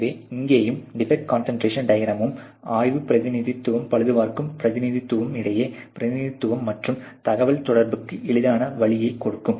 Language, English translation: Tamil, So, here also and the defect concentration diagram, it is sort of giving an easy way of representation and communication between the inspection representative and the repair representative